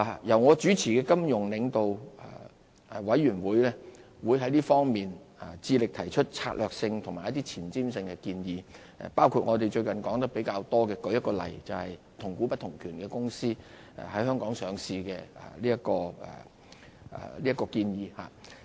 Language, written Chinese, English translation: Cantonese, 由我主持的金融領導委員會會致力提出策略性和前瞻性建議，包括我們最近說得比較多的一個例子，就是"同股不同權"公司在香港上市這項建議。, The Financial Leaders Forum chaired by me is committed to putting forward strategic and forward - looking proposals including the recent topical issue ie . to allow companies with weighted voting right structures to list in Hong Kong